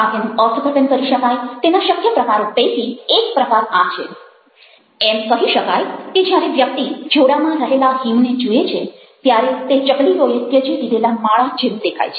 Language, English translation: Gujarati, one of the possible ways you can interpret the poem is by saying something like this that when one looks at the snow which is in the shoe right now, it looks like, ah, abandoned sparrows nest